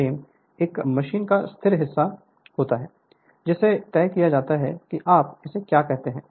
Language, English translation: Hindi, The frame is the stationary part of a machine to which are fixed the your what you call this Just see this diagram